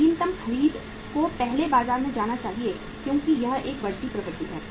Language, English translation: Hindi, Latest purchase should first go out in the market because it is a rising trend